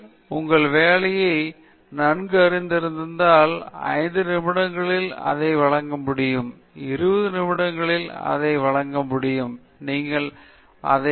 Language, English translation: Tamil, So, ideally, if you know your work very well, you should be able to present it in 5 minutes, you should be able to present it in 20 minutes, you should be able to present it in one hour